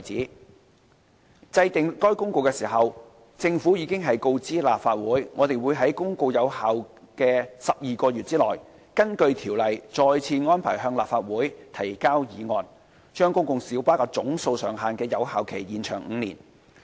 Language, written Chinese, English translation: Cantonese, 在制定該《公告》時，政府已告知立法會，我們會在《公告》有效的12個月內，根據《條例》再次安排向立法會提交議案，將公共小巴總數上限的有效期延長5年。, When making the Notice the Government advised the Legislative Council that during the 12 - month effective period of the Notice we would arrange to table a resolution again to extend the effective period of the cap on the number of PLBs by five years in accordance with the Ordinance